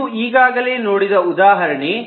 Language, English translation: Kannada, so this example we have already seen